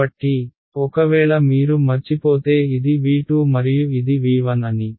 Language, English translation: Telugu, So, if in case you forgot this was my V 2 and this is my V 1 right